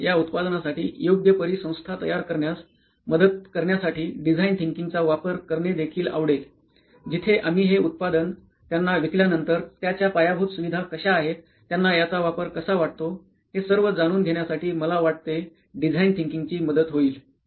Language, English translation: Marathi, We would also like design thinking to help us in building a proper ecosystem for this product, where we can actually after the product is sold to a user, then how the infrastructure is given to them, how it is serving them, how it is maintained for them I think design thinking can help us in solving all these issues as well